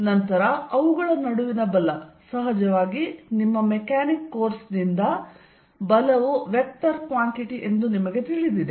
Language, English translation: Kannada, Then, the force between them the magnitude force of course, you know from your Mechanics course that force is a vector quantity